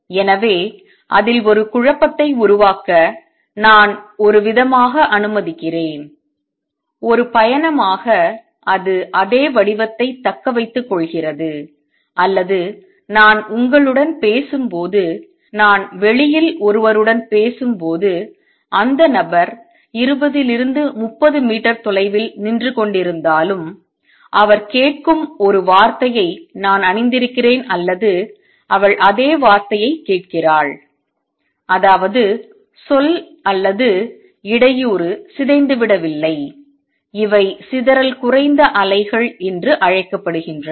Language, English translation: Tamil, So, I kind of let say create a disturbance in it and as a travels it retains the same shape or when I am talking to you, when I am talking to somebody outside, even if the person is standing 20 30 meters away, if I have attired a word he hears or she hears the same word; that means, the word or the disturbance is not gotten distorted these are called dispersion less waves